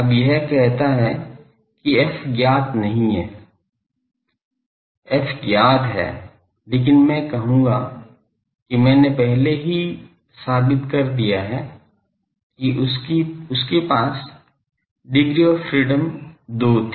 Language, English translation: Hindi, Now, it says that f is not known, ft is known ok, but I will say that I have already proved that, they had degree of in freedom is 2